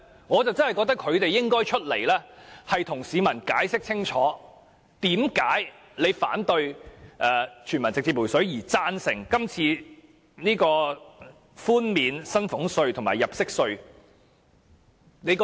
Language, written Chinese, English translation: Cantonese, 我認為他們實在有必要站出來向市民解釋清楚，為何反對全民直接"回水"但贊成這次寬減薪俸稅和入息稅？, I think they should rise to explain clearly to members of the public why they oppose a direct refund to each person but support the present proposal to reduce salaries tax and tax under personal assessment